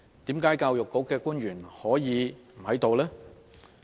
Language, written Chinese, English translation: Cantonese, 為何教育局的官員可以不出席呢？, Why public officers from the Education Bureau failed to attend todays meeting?